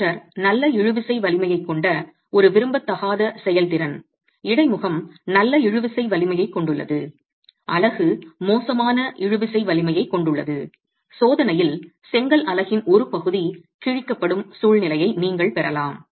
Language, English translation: Tamil, You can have an undesirable performance where the motor has good tensile strength, the interface has good tensile strength, the unit has poor tensile strength, you can have a situation where a part of the brick unit is ripped off in the test